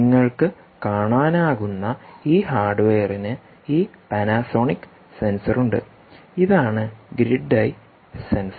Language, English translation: Malayalam, this hardware, you can see, has this panasonic sensor here